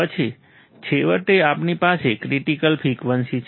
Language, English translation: Gujarati, Then finally, we have critical frequency